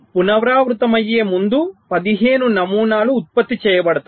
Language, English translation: Telugu, fifteen patterns is generated before repeating